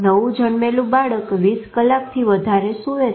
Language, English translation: Gujarati, A newborn infant sleeps more than 20 hours